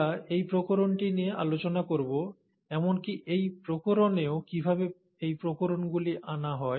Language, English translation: Bengali, We’ll discuss this variation, and even in this variation, how are these variations brought about